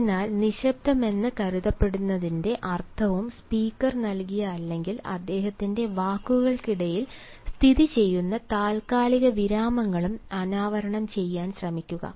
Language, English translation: Malayalam, so try to unearth, try to extract the meaning of the supposed silence and the pauses that the speaker has given or has situated in the beats of his words